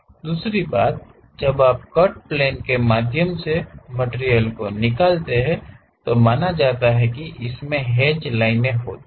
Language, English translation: Hindi, Second thing, when you remove the material through cut plane is supposed to have hatched lines